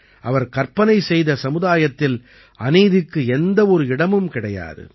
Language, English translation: Tamil, He envisioned a society where there was no room for injustice